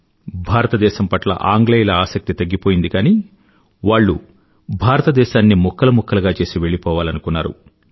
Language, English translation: Telugu, The English had lost interest in India; they wanted to leave India fragmented into pieces